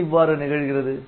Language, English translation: Tamil, Why this thing happens